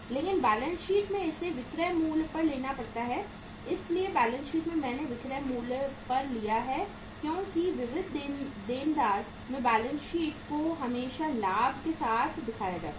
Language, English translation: Hindi, But in the balance sheet it has to be taken at the selling price so in the balance sheet I have taken at the selling price because sundry debtors in the balance sheet are always shown with the profit